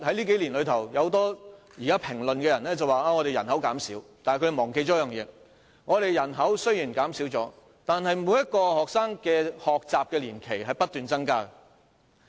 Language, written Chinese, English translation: Cantonese, 近年有評論指人口正在減少，但他們忘記了一點，雖然我們的人口正在減少，但每名學生的學習年期正不斷增加。, In recent years there has been the comment that the population is decreasing but the commentators have forgotten one point . While our population is decreasing the duration of studies of each student keeps increasing